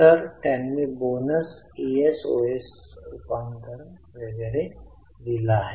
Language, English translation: Marathi, So, they have given bonus is of conversion etc